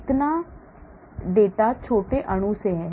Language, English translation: Hindi, so much of the data is from small molecule